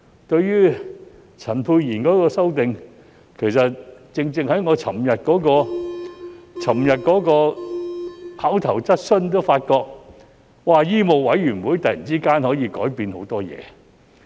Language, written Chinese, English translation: Cantonese, 對於陳沛然議員的修正案，其實正正在我昨天提出口頭質詢時也發覺，醫務委員會突然間可以改變很多事。, Regarding Dr Pierre CHANs amendment I found out when I raised my oral question yesterday that the Medical Council of Hong Kong could change many things all of a sudden